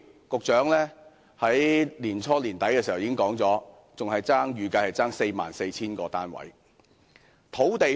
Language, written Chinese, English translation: Cantonese, 局長在去年年底已表示，預計尚欠44000個單位。, By the end of last year the Secretary stated that there would be a shortfall of 44 000 flats